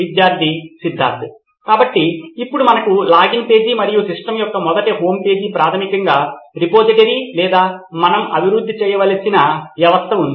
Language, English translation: Telugu, So now we have the login page and the first homepage of the system basically the repository or the system what we have to develop